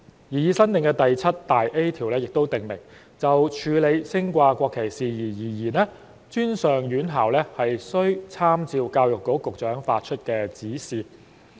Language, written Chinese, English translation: Cantonese, 擬議新訂第 7A 條亦訂明，就處理升掛國旗事宜而言，專上院校須參照教育局局長發出的指示。, The proposed new section 7A also provides that for dealing with flag display and raising matters post - secondary education institutions must make reference to the directions given by the Secretary for Education